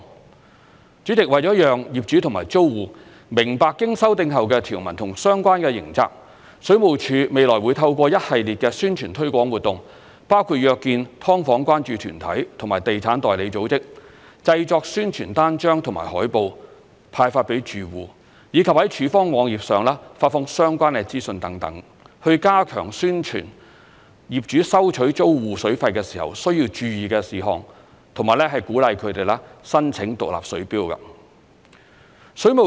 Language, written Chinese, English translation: Cantonese, 代理主席，為了讓業主及租戶明白經修訂後的條文及相關刑責，水務署未來會透過一系列的宣傳推廣活動，包括約見"劏房"關注團體及地產代理組織、製作宣傳單張和海報派發予住戶，以及在署方網頁上發放相關的資訊等，以加強宣傳業主收取租戶水費的時候需要注意的事項和鼓勵他們申請獨立水錶。, Deputy President in order to enable landlords and tenants to understand the provisions and relevant penalties after the amendment WSD will conduct a series of publicity and promotional activities . These include among others arranging meetings with concern groups on subdivided units and property agency organizations; producing promotional leaflets and posters for dispatch to residents; and posting related information on the WSD website so as to step up publicity to landlords on matters they should pay attention to when they charge their tenants water fees and encourage them to apply for separate water meters